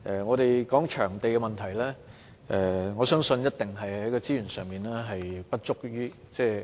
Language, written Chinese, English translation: Cantonese, 關於場地問題，我相信一定與資源不足有關。, I think the inadequate supply of venues is definitely related to the unavailability of resources